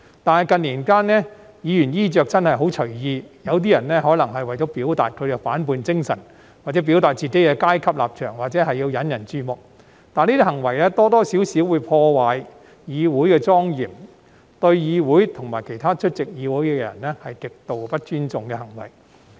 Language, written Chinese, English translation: Cantonese, 但是，近年，議員的衣着真的很隨意，有些人可能為了表達其反叛精神或表達自己的階級立場，或是要引人注目，但這些行為多多少少會破壞議會的莊嚴，對議會及其他出席會議的人是極度不尊重的行為。, However in recent years Members attire has been really quite free and casual . Some of them may wish to express their spirit of defiance or to express their class and position or they wish to attract attention . But these behaviours have in one way or another tarnished the solemnity of this Council and are extremely disrespectful to this Council and also to other people attending the meeting